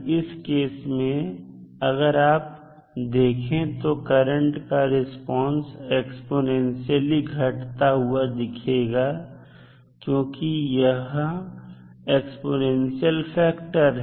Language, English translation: Hindi, In that case if you see the response for current it would be exponentially decaying because of the exponential factor of e to power minus factor which you have